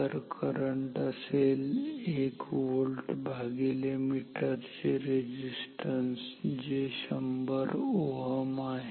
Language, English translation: Marathi, Then the current that will flow with 1 volt divided by the meter resistance which is 100 ohm